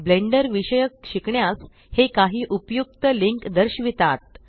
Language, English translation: Marathi, It shows some useful reference links for learning about Blender